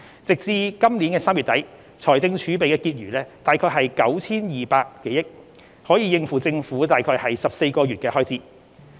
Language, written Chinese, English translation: Cantonese, 截至本年3月底，財政儲備的結餘約為 9,200 多億元，可應付政府約14個月的開支。, At the end of March 2021 the consolidated balance of the fiscal reserves stood at more than 920 billion equivalent to about 14 months of government expenditure